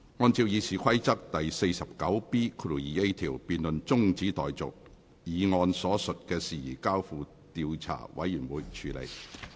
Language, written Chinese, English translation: Cantonese, 按照《議事規則》第 49B 條，辯論中止待續，議案所述的事宜交付調查委員會處理。, In accordance with Rule 49B2A of the Rules of Procedure the debate is adjourned and the matter stated in the motion is referred to an investigation committee